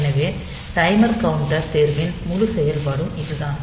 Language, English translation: Tamil, So, that is the whole operation of this timer counter selection